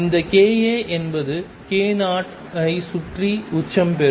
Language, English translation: Tamil, And this k a is peak around k 0